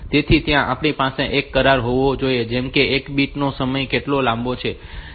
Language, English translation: Gujarati, So, we have to have a have an agreement like how long is one bit time